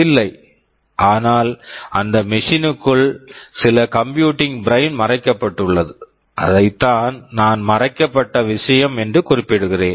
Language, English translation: Tamil, But inside those machines there is some computing brain hidden, that is what I am referring to as this hidden thing